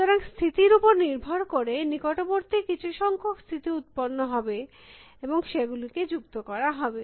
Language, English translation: Bengali, So, depending on the state, some numbers of the neighbors would be generated and they would be added